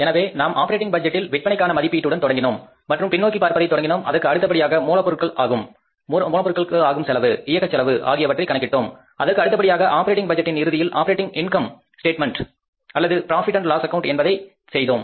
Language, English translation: Tamil, So, we start with the sales estimation in the operating budget and then we start back tracking and then we assess the cost including the raw material cost, operating expenses cost and then we end up means the operating budget ends up with the preparing the operating income statement or the profit and loss account